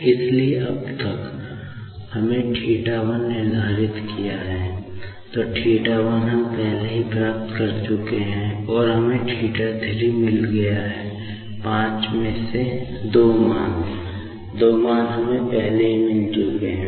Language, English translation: Hindi, So, till now, we have determined theta 1, theta 1 we have already got and we have got now theta 3; out of five values, two values, we have already got